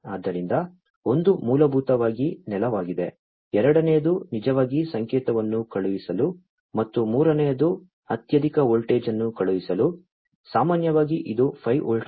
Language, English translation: Kannada, So, one is basically the ground, the second one is for actually sending the signal, and the third one is for sending the highest voltage, typically, it is the 5 volts